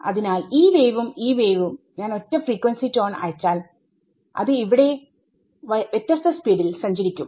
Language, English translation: Malayalam, So, this wave and this wave even if I choose a single frequency pulse I send the single frequency tone as it is called it will travel at different speeds here and at different speeds over here